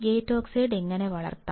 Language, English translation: Malayalam, How can we grow gate oxide